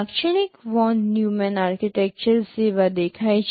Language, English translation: Gujarati, This is how typical Von Neumann Architectures look like